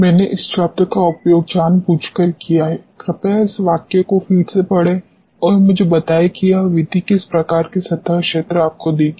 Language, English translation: Hindi, I have used this word intern intentionally please go through this sentence again and let me know what type of surface area this method will give you